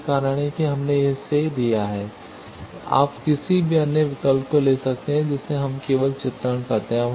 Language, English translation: Hindi, That is why we have given it, you can take any other various choices we just do illustration sake